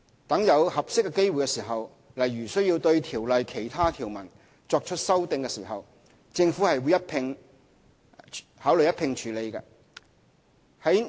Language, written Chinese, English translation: Cantonese, 待有合適機會時，例如需要對《條例》的其他條文作出修訂，政府會考慮一併處理。, The Government will consider doing so altogether as and when an opportune opportunity arises such as when amendments are also required to other provisions of the Ordinance